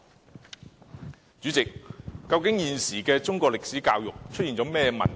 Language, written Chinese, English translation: Cantonese, 代理主席，現時中史教育出現甚麼問題？, Deputy President what has gone wrong with the current Chinese history education?